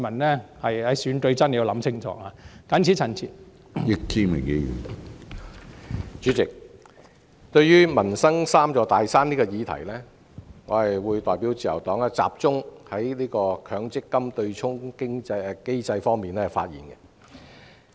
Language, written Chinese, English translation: Cantonese, 主席，對於"要求政府解決民生'三座大山'"的議案，我代表自由黨集中就強制性公積金對沖機制發言。, President as regards the motion on Requesting the Government to overcome the three big mountains in peoples livelihood on behalf of the Liberal Party I will speak with my focus on the offsetting mechanism of the Mandatory Provident Fund MPF